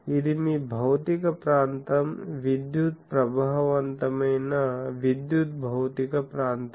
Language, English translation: Telugu, So, this is your physical area electrical effective electrical physical area